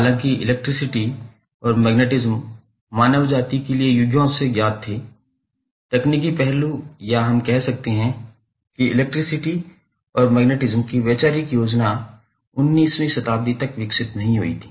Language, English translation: Hindi, So, although the electricity and magnetism was known to mankind since ages but the the technical aspect or we can say the conceptual scheme of that electricity and magnetism was not developed until 19th century